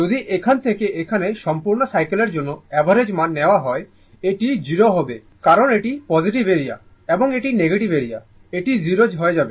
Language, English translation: Bengali, If you take average value from for the full cycle complete cycle from here to here, it will be 0 because this is positive area and this is negative area it will become 0